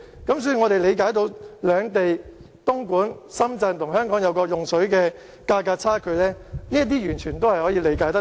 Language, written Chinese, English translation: Cantonese, 所以，我們理解為何東莞、深圳和香港在用水價格上存在差距，這些完全是可以理解的。, Therefore we understand why there are differences in the water prices paid by Dongguan Shenzhen and Hong Kong . It is fully understandable